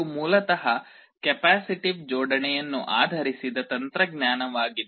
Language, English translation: Kannada, This is basically a technology based on capacitive coupling